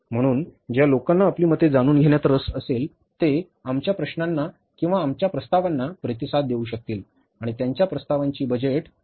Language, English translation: Marathi, So, people who are interested to give their views, they can respond to our queries or our say proposals and their proposals will be taken care of while finalizing the budget